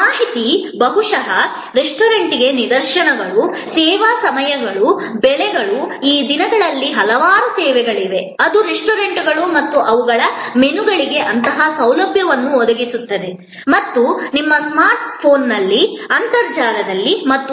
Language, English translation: Kannada, Information maybe the directions to the restaurant, the service hours, the prices, these days there are number of services, which provides such facility for restaurants and their menus and so on, on your smart phone, on the internet